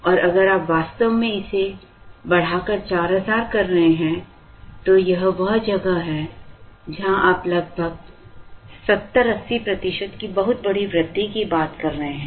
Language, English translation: Hindi, And if you really increase it to 4000, this is where you are talking of a very, very large increase of nearly 70, 80 percent